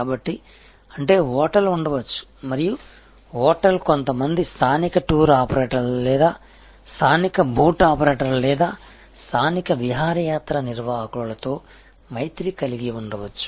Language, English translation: Telugu, So, which means that there can be a hotel and the hotel can have alliance with some local tour operators or local boat operators or local excursion operators